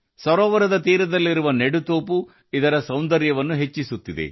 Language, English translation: Kannada, The tree plantation on the shoreline of the lake is enhancing its beauty